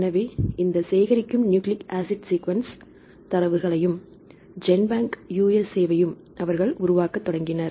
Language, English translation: Tamil, So, they also developed this collecting nucleic acid sequence data and GenBank USA they also started to collect